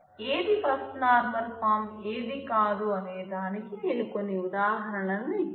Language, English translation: Telugu, So, I have given some examples of what is not and what is First Normal Form